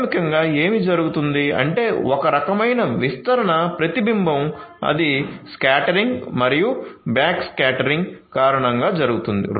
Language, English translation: Telugu, So, basically what is happening is some kind of sorry diffuse reflection that is going to happen due to the scattering and the back scattering